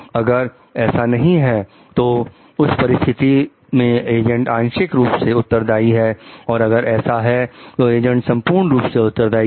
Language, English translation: Hindi, So, in that case if it is no then, the agent is partially responsible if yes, then the agent is fully responsible